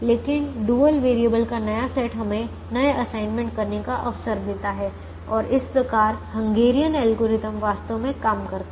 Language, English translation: Hindi, but the new set of dual variables gives us an opportunity to create new assignments and that is how the hungarian algorithm actually works